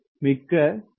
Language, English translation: Tamil, ok, thank you very much